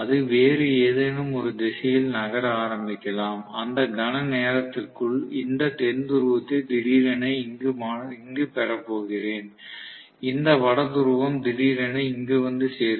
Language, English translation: Tamil, So it may start moving in some other direction, within no matter of time, I am going to have this South Pole suddenly reaching here and this North Pole suddenly reaching here